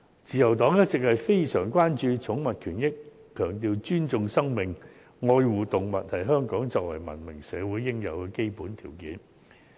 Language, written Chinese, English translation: Cantonese, 自由黨一直非常關注寵物權益，強調"尊重生命、愛護動物"是香港作為文明社會應有的基本條件。, The Liberal Party has always been very concerned about pets rights and the emphasis on Respecting Life Love Animal is fundamental in a civilized society like Hong Kong